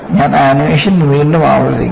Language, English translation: Malayalam, I will repeat the animation again